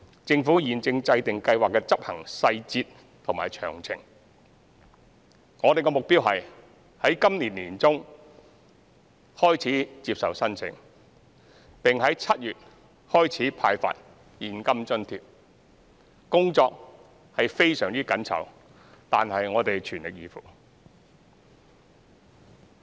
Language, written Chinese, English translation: Cantonese, 政府現正制訂計劃的執行細節和詳情，我們的目標是於今年年中開始接受申請，並於7月開始派發現金津貼，工作非常緊湊，但我們會全力以赴。, The Government is working out the implementation details of the scheme and aims to start receiving applications in mid - 2021 and disbursing cash allowance from July onwards . The work schedules are tight but we will do our best